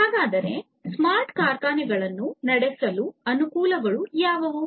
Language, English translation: Kannada, So, what are the advantages of running smart factories